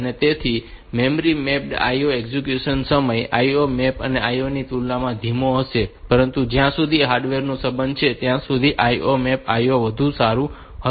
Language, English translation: Gujarati, So, memory mapped IO execution time will be slower compare to IO mapped IO, but as far as the hardware is concerned IO mapped IO will be better